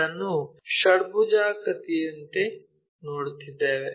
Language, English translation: Kannada, So, that one what we are seeing it as a hexagon